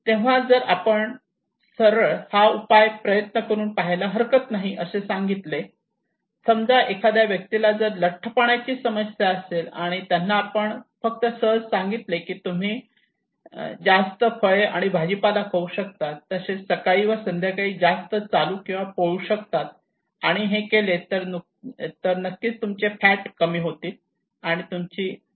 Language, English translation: Marathi, So if we simply say like this one that try this option, a person who is having obesity issue if we simply tell them okay you can eat more fruits and vegetables and you can walk and run on the morning and evening that would significantly help you to reduce your fat your obesity issue